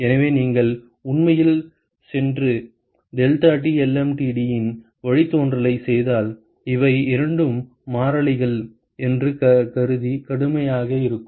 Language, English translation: Tamil, So, if you actually go the go and do the derivation of the deltaT lmtd is rigorously by assuming that these two are constants